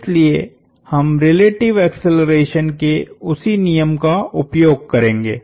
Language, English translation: Hindi, So, we will use the same law of relative accelerations